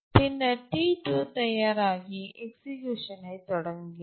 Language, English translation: Tamil, And T2 becomes ready, starts executing